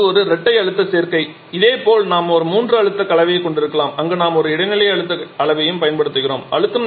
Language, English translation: Tamil, So, this dual pressure combination similarly we can also have a triple pressure combination where we shall be using an intermediate pressure level as well